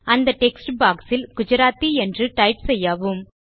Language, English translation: Tamil, In the textbox, type the word Gujarati